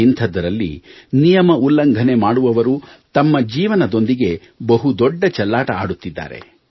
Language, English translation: Kannada, In that backdrop, those breaking the rules are playing with their lives